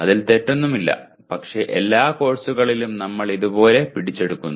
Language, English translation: Malayalam, There is nothing wrong with that but we capture like this for all the courses